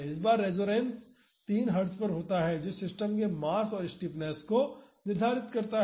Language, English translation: Hindi, This time the resonance occurs at 3 Hertz determine the mass and stiffness of the system